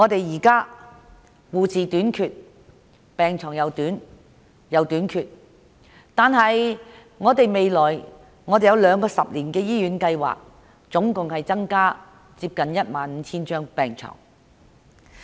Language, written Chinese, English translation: Cantonese, 現在護士和病床亦短缺，但當局訂有兩個十年醫院發展計劃，共可增加接近 15,000 張病床。, There is also a short supply of both nurses and hospital beds and the Government has put in place two 10 - year hospital development plans with a view to providing a total of nearly 15 000 additional hospital beds